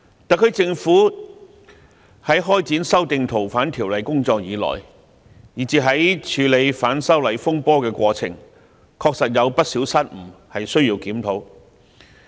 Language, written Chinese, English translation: Cantonese, 特區政府自開展修訂《逃犯條例》的工作以來，以至在處理反修例風波的過程中，確實有不少失誤，需要檢討。, Since the SAR Government commenced its work to amend the Fugitive Offenders Ordinance and in the process of handling disturbances arising from the opposition to the proposed legislative amendments it has indeed made a number of mistakes which have to be reviewed